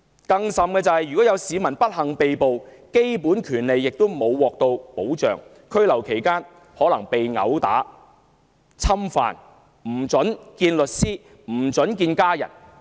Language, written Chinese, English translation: Cantonese, 更有甚者，市民如不幸被捕，基本權利不獲保障，在拘留期間可能被毆打、侵犯或不獲准會見律師或家人。, Worse still those members of the public meeting the misfortune of being arrested could be deprived of their basic rights . They could be assaulted violated or denied permission to meet with lawyers or family during detention